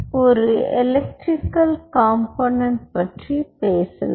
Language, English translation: Tamil, so lets talk about the electrical component